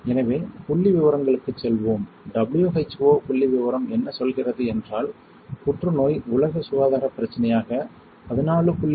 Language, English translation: Tamil, So, let us go to the statistics, what statistic says that according to WHO cancer remains a global health problem around 14